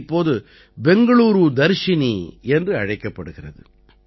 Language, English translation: Tamil, Now people know it by the name of Bengaluru Darshini